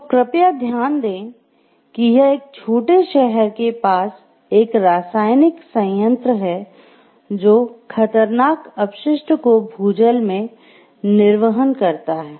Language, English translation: Hindi, So, please note it is a chemical plant near a small city that discharges the hazardous waste into the groundwater